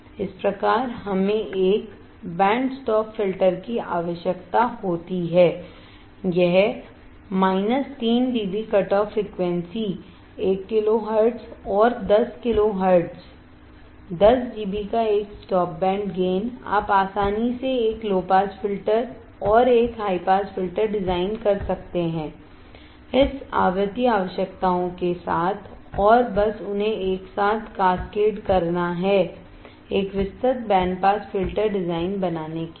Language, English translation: Hindi, Thus we require a band stop filter to have it is minus 3 dB cutoff frequency say 1 kilo hertz and 10 kilo hertz a stop band gain of minus 10 d B, in between, you can easily design a low pass filter and a high pass filter, with this frequency requirements, and simply cascade them together to form a wide band pass filter design